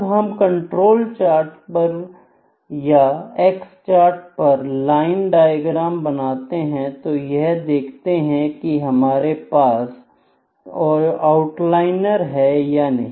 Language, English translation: Hindi, So, line diagram is also like we when we plot the control charts or X bar chart, we draw the line diagram to see whether do we have outliers or not